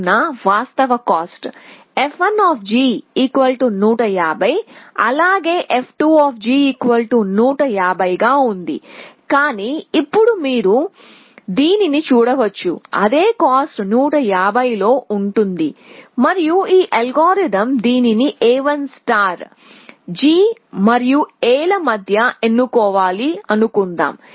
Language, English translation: Telugu, So, the actual cost, so f 1 G is 150 as well as f 2 G was 150, but now you can see that this is with the same cost 150 and this algorithm let us call it A 1 star has to choose between g and A